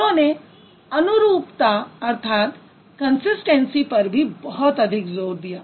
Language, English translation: Hindi, And he also emphasized a lot on consistency